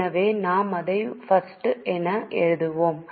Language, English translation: Tamil, So we will write it as I